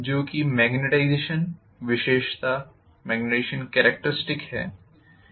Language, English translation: Hindi, This is what is our magnetization characteristics normally